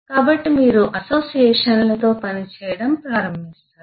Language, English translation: Telugu, so you start working on the associations